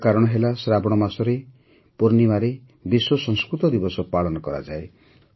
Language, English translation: Odia, The reason for this is that the Poornima of the month of Sawan, World Sanskrit Day is celebrated